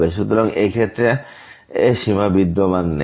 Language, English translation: Bengali, So, limit and does not exist in this case